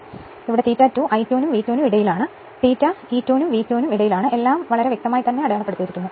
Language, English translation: Malayalam, So, this is my this angle I angle phi 2 is between I 2 and V 2 and angle delta is between E 2 and V 2 everything is clearly marked right